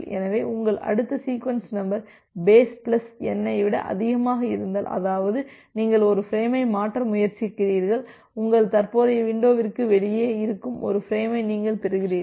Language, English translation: Tamil, So, if your next sequence number is greater than base plus N, that means, you are trying to transfer a frame you are receiving a frame which is outside your current window